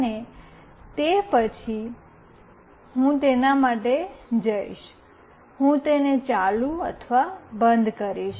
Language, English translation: Gujarati, And then only I will go for it, I will make it on or off